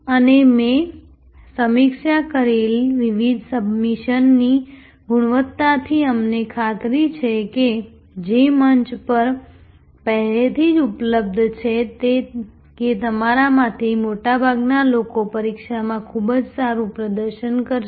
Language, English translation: Gujarati, And I am quite sure from the quality of the various submissions that I have reviewed, which are already available on the forum that most of you will do quite well at the exam